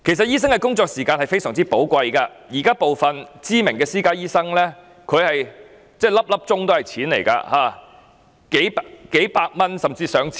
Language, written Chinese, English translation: Cantonese, 醫生的工作時間非常寶貴，對於部分知名的私家醫生而言，每小時可謂皆是錢，因為可以賺取數百元甚至數千元。, Doctors working hours are very precious . To some renowned doctors in private practice every hour of work means money because they can earn a few hundred dollars or even a few thousand dollars